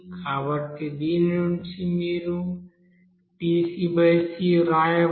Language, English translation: Telugu, So from which you can write dc/c